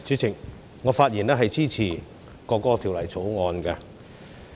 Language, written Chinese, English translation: Cantonese, 主席，我發言支持《國歌條例草案》。, President I rise to speak in support of the National Anthem Bill the Bill